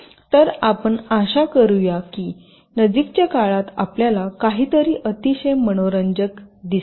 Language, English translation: Marathi, so lets hope that will see something very interesting in the near future